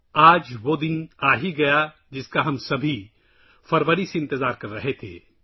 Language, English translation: Urdu, The day all of us had been waiting for since February has finally arrived